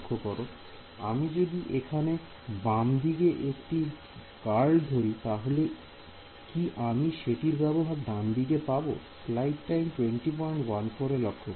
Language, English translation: Bengali, If I take a curl over here on the left hand side can I get use the curl on the right hand side